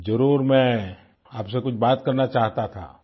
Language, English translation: Hindi, I wanted to talk to you